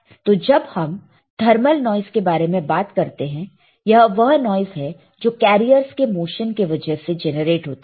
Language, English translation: Hindi, So, when we talk about thermal noise right, it is noise created by the motion of the carriers